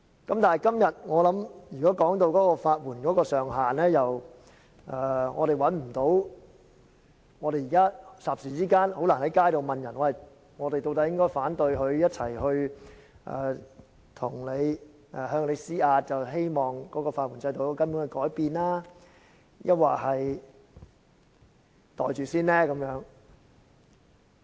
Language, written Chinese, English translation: Cantonese, 但是，今天討論法援上限上調的建議，我們不能霎時間問街上的市民，我們應該投反對票，藉以向政府施壓，希望法援制度有根本的改變，抑或應該"袋住先"，先接納有關建議。, However we are now discussing the proposal of raising FELs . We cannot ask people in the street suddenly whether we should oppose this as to force the Government to revamp the legal aid system fundamentally or pocket the proposal first and accept it